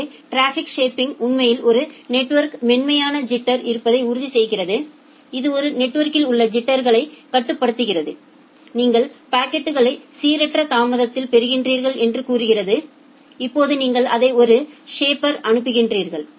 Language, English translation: Tamil, So, traffic shaping actually ensures that smooth jitter in the network, it controls the jitter in the network say you are getting the packets at random delay, now you send it to a shaper